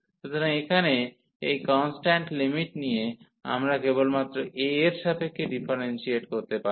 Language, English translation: Bengali, So, here treating these constant limits, we can just differentiate with respect to a